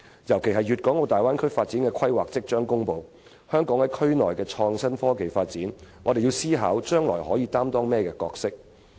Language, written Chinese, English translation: Cantonese, 尤其是大灣區發展規劃即將公布，就香港在區內的創新科技發展，我們要思考將來可擔當甚麼角色。, In particular as the development planning of the Bay Area will soon be announced we must consider the future role of Hong Kong in the development of innovation and technology in the region